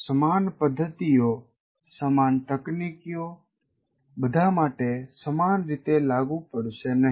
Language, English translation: Gujarati, So same methods, same techniques will not work the same way for all